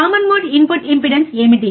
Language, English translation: Telugu, What is the common mode input impedance